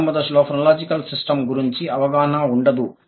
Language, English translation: Telugu, Initial stage, no knowledge of the phonological system